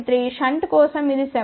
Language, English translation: Telugu, 3 for shunt it is about 7